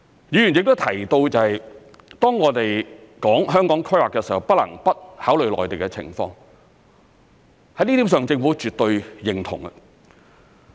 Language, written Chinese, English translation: Cantonese, 議員亦提到，當我們談香港規劃的時候，不能不考慮內地的情況，在這點上政府絕對認同。, Members have also mentioned that it is impossible not to take the Mainland situation into account when we talk about the planning of Hong Kong . The Government absolutely concurs with this point